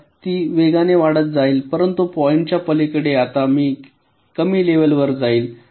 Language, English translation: Marathi, so it will go on rapidly increasing, but beyond the point it will now a less level of